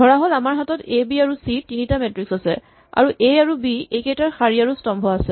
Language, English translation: Assamese, Suppose, we have these matrices A, B and C, and A and B have these columns and rows